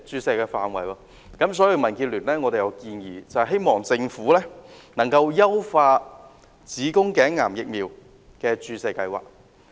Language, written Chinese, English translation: Cantonese, 所以，民建聯建議政府優化子宮頸癌疫苗的注射計劃。, Therefore the DAB suggests that the Government should enhance the HPV vaccination plan